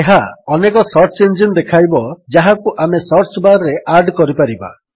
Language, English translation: Odia, It displays a number of search engines that we can add to the search bar